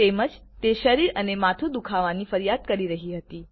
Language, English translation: Gujarati, She was complaining of body pain, head ache as well